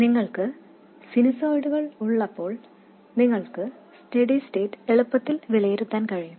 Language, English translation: Malayalam, When you have sinusoid, you can evaluate the steady state quite easily